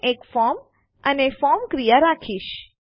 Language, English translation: Gujarati, Im going to have a form and the action of the form